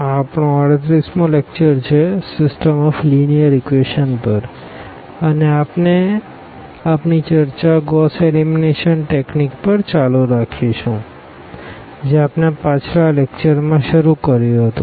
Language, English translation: Gujarati, So, this is lecture number 38, on System of Linear Equations and we will continue our discussion on this Gauss Elimination technique which was introduced in previous lecture